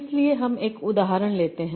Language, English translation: Hindi, So let me take one example